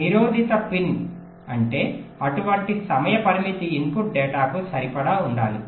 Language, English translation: Telugu, ok, constrained pin means such timing constrained must have to be satisfied for the input data